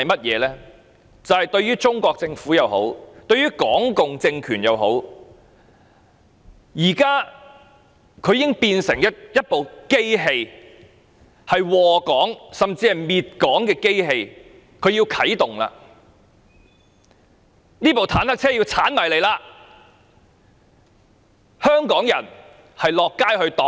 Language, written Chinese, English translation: Cantonese, 現時中國政府或港共政權已變成一部禍港甚至滅港的機器，它啟動了，這部坦克車要衝過來了，香港人要到街上抵擋。, At present the Chinese Government or the Hong Kong communist regime has already turned into a machine that does damage to and will even destroy Hong Kong . It is now being activated . This tank is coming towards us and Hong Kong people are flocking to the street to block the tank